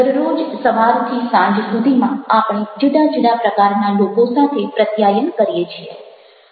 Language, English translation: Gujarati, every day, since morning till evening, we are communicating with different types of people